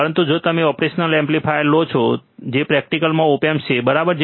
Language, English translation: Gujarati, But if you if you take operational amplifier which is a practical op amp, right